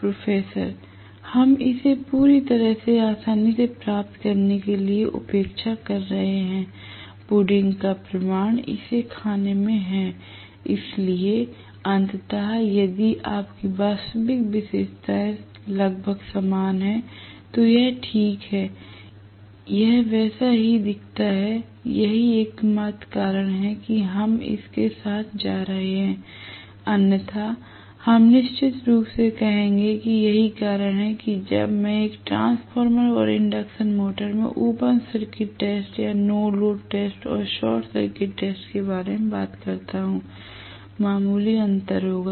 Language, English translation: Hindi, We are neglecting it just to get the ease of the entire derivation, the proof of the pudding is in eating it, so ultimately if your actual characteristics almost resembles this it is alright and it is resembles it does resemble, so that is the only reason we are going along with it, otherwise we would definitely say that is the reason when I talk about the open circuit test or no load test and short circuit test, in a transformer and induction motor there will be slight difference, we will look at it also, there will be some differences